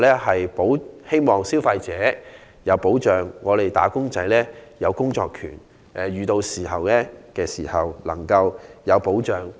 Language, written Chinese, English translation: Cantonese, 我們希望消費者有保障，並讓"打工仔"有工作權及遇事時能有保障。, It is our wish to protect consumers and safeguard wage earners right to work and their interests in case of accident